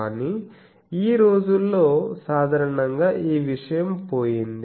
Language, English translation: Telugu, But nowadays this thing has gone generally